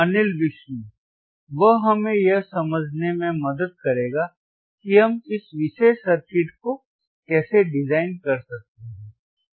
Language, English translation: Hindi, and h He will help us to understand how we can design this particular circuit